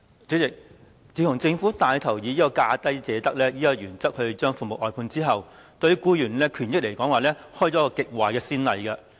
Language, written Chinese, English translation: Cantonese, 主席，自從政府帶頭以"價低者得"的原則將服務外判後，對僱員的權益開了一個極壞先例。, President since the Government took the lead in outsourcing services under the lowest bid wins principle an extremely bad precedent has been set with regard to employees rights and benefits